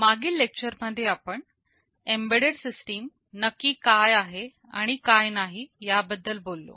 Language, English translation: Marathi, In our previous lecture, we talked about what an embedded system really is and what it is not